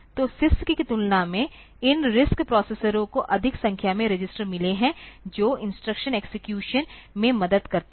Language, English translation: Hindi, So, compared to CISC, these RISC processors have got more number of registers that helps in the instruction execution